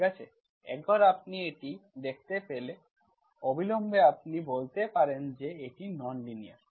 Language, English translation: Bengali, Okay, once you see that, immediately you can say that it is non linear